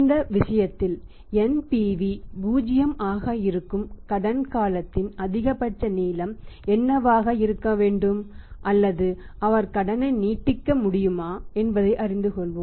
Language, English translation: Tamil, And NPV is becoming negative in this case let us learn that what should be the maximum length of the credit period at which the NPV is 0 or he can extend the credit